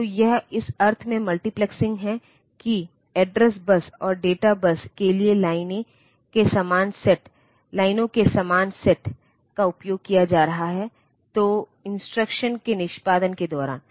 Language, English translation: Hindi, So, it is multiplexing in the sense that the same sets of lines are being used for address bus and data bus; so during the execution of the instructions